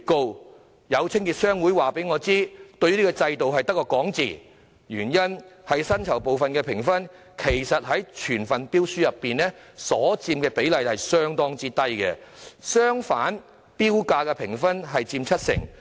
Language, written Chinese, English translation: Cantonese, 可是，有清潔商會告訴我，這個制度只流於空談，因為薪酬部分的評分在整份標書中所佔的評分比例相當低；相反，投標價的評分則佔七成。, However a cleaning service association has told me that this system has been reduced to empty talk because the weighting of wages is rather low in the scores for the whole tender . The bidding price on the contrary accounts for 70 % in the assessment